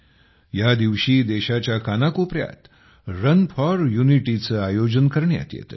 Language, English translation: Marathi, On this day, Run for Unity is organized in every corner of the country